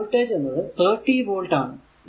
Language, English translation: Malayalam, So, v will be is equal to 30 volt